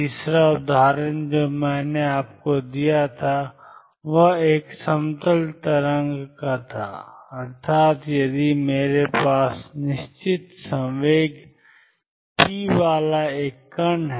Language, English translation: Hindi, Third example I gave you was that of a plane wave, that is if I have a particle with fixed momentum p